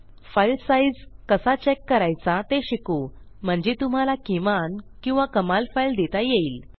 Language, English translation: Marathi, We will also learn how to check the file size of the file so you can have a maximum or minimum file size